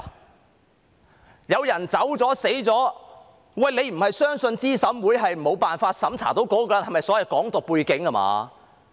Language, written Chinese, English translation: Cantonese, 當有人走了或死了，他不是認為候選人資格審查委員會沒有辦法審查到該人有否"港獨"背景吧？, In case someone left or died he does not think that the Candidate Eligibility Review Committee CERC is unable to find out whether that person has a background relating to Hong Kong independence does he?